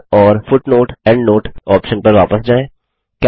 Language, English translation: Hindi, Lets go back to Insert and Footnote/Endnote option